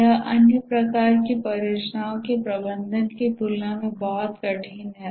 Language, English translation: Hindi, It is much harder than managing other types of projects